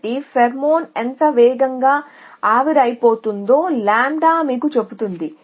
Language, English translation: Telugu, So, lambda tells you how fast the pheromone you operates